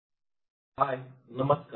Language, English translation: Marathi, Hello hi everyone